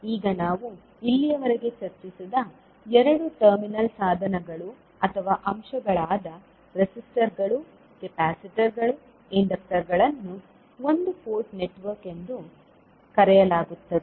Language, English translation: Kannada, Now, two terminal devices or elements which we discussed till now such as resistors, capacitors, inductors are called as a one port network